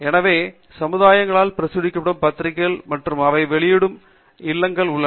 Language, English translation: Tamil, So, there are journals that are published by societies and they are also publishing houses